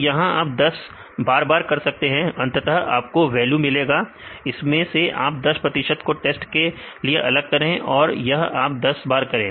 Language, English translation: Hindi, So, you do it for 10 times finally, give you the values; so take the 10 percent out here 10 percent out here for the testing and do it for 10 times